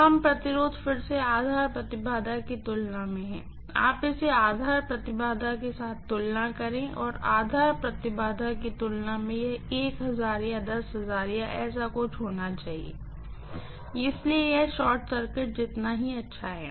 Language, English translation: Hindi, Low resistance again is compared to the base impedance, you will compare it with the base impedance and compared to base impedance it should be 1,000 or one 10,000 or something like that, so it is as good as a short circuit